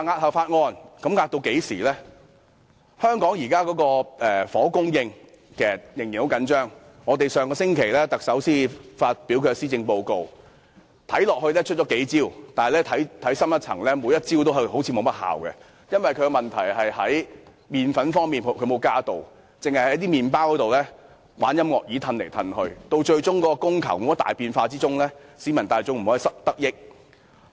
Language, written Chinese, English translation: Cantonese, 香港現時的房屋供應仍然很緊張，特首上星期才發表施政報告，看起來出了幾招，但看深一層，每一招都好像沒甚麼效用，因為問題是沒有增加"麪粉"，只是將"麪包"在音樂椅上移來移去，供求始終沒有大變化，市民大眾無法得益。, The acute shortfall of housing in Hong Kong has not been eased . In her Policy Address delivered last week the Chief Executive seemed to offer a few solutions but upon closer examination none of those solutions is likely to have any real effect . The problem is there is no additional flour the Government only plays musical chair and moves the bread around